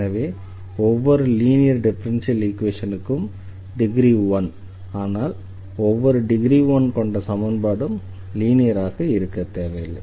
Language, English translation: Tamil, So, every linear equation is of first degree, but not every first degree equation will be a linear